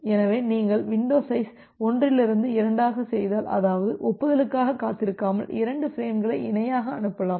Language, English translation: Tamil, So, if you make the window size 2 from 1: that means, you can send 2 frames in parallel without waiting for the acknowledgement